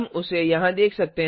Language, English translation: Hindi, We can see that here